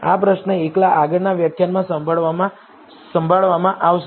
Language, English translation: Gujarati, This question alone will be handled in the next lecture